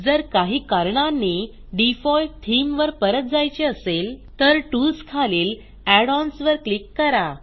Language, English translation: Marathi, If, for some reason, you wish to go back to the default theme, then, just click on Tools and Add ons